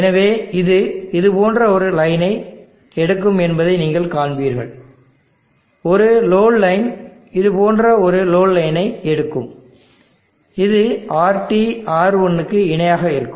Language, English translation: Tamil, So you will see that it will take a line like this a load line will take a load line like this it will be RT parallel R1